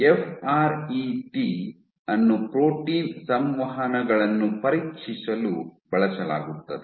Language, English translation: Kannada, FRET is used for probing protein interactions